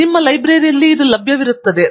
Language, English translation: Kannada, And, this is something that will be available from your library